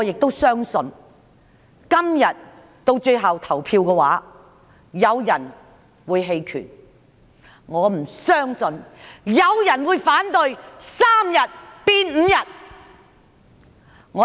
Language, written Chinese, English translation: Cantonese, 我相信今天到最後投票時，有人會棄權，我不相信有人會反對把3天侍產假增至5天。, I believe that when the Bill is finally put to vote some Members will abstain from voting . I do not believe anyone will oppose the increase of paternity leave from three days to five days